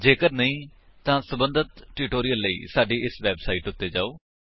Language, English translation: Punjabi, If not, for relevant tutorials, please visit our website which is as shown